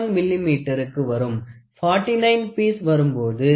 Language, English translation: Tamil, 01 millimeter, when you go for 49 piece range from 0